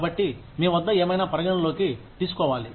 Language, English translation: Telugu, So, whatever you have, should be taking into account